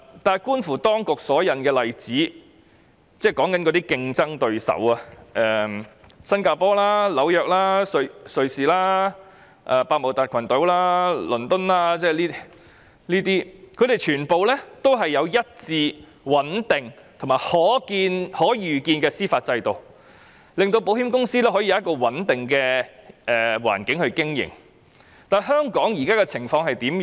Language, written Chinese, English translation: Cantonese, 但是，觀乎當局所引用的例子——即競爭對手——新加坡、紐約、瑞士、百慕達群島、倫敦等，他們全部有一致穩定和可預見的司法制度，令保險公司可以有一個穩定的經營環境，而香港現在的情況是怎樣？, However looking at the examples cited by the authorities―ie . our competitors―Singapore New York Switzerland Bermuda London and so on all of them have a consistent stable and foreseeable judicial system which provides insurance companies with a stable operating environment . What about the current situation in Hong Kong?